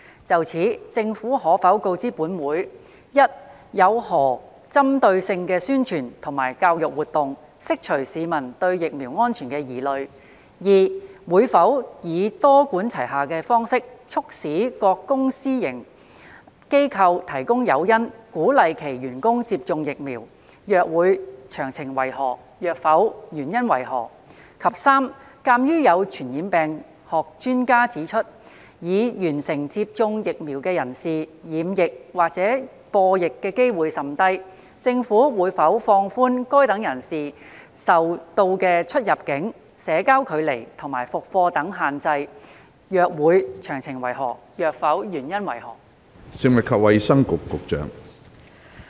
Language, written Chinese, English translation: Cantonese, 就此，政府可否告知本會：一有何針對性的宣傳及教育活動，釋除市民對疫苗安全的疑慮；二會否以多管齊下的方式，促使各公私營機構提供誘因鼓勵其員工接種疫苗；若會，詳情為何；若否，原因為何；及三鑒於有傳染病學專家指出，已完成接種疫苗的人士染疫或播疫的機會甚低，政府會否放寬該等人士所受到的出入境、社交距離及復課等限制；若會，詳情為何；若否，原因為何？, In this connection will the Government inform this Council 1 of the targeted publicity and education programmes to allay public concerns over the safety of the vaccines; 2 whether it will adopt a multi - pronged approach to spur various public and private organizations to provide incentives to encourage their staff to receive vaccination; if so of the details; if not the reasons for that; and 3 as an expert on epidemiology has pointed out that persons who have been fully vaccinated have a very low chance of contracting or spreading the disease whether the Government will relax the restrictions on immigration social distancing resumption of classes etc . to which such persons are subject; if so of the details; if not the reasons for that?